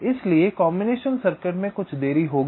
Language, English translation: Hindi, so combination circuit will be having some delay